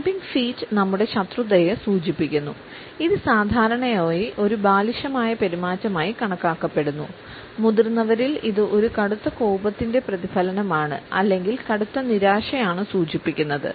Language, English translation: Malayalam, A stomping feet suggests our hostility normally it is considered to be a childish behaviour and in adults; it is a reflection of an extreme anger or an extreme disappointment which should always be avoided